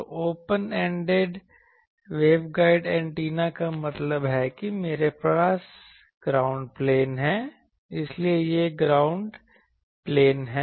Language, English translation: Hindi, So, the open ended waveguide antenna means I have that on a ground plane so, this is the ground plane